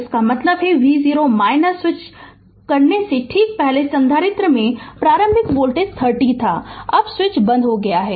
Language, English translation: Hindi, That means, just before switching v 0 minus, the voltage that initial voltage across the capacitor was 30 volt, now switch is closed right